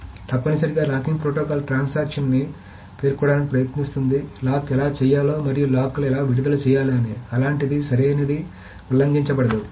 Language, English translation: Telugu, So essentially the locking protocol will try to specify how a transaction should request for locks and how it should release the logs such that the correctness is not violated